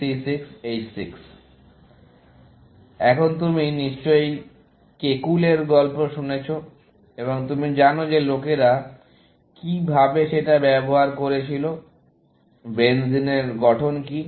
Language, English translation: Bengali, C 6 H 6, and you must have heard the story of Kekule, and you know how people were trying to figure out, what is the structure of benzene